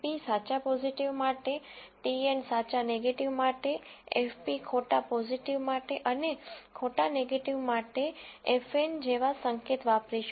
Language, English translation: Gujarati, So, we are going to use the notation TP for true positive T and for true negative F E F P for false positive and F N for false negative